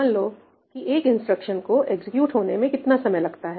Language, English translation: Hindi, How long is it going to take for these instructions to execute